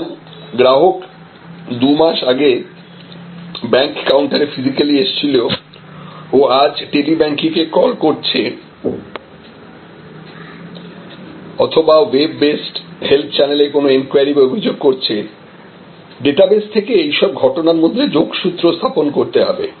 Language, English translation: Bengali, So, whether the customer has contacted two months back physically at the bank counter and today the customer is calling the Tele banking system or customer has some enquiry or complaint through the web based help channel, it is the organization must be able to connect the dots